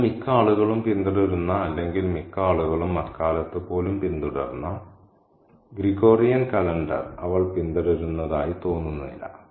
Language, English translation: Malayalam, She doesn't seem to follow the Gregorian calendar that most people follow today or most people followed even back in those days